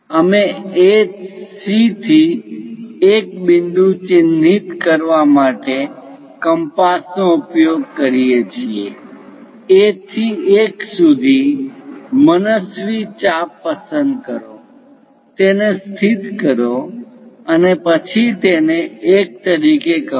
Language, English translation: Gujarati, Now, use compass to mark point 1 on AC, from A to 1; pick arbitrary arc, locate it then call this one as 1